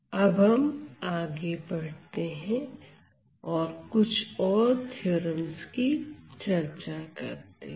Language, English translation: Hindi, Now moving ahead let me just highlight few more theorems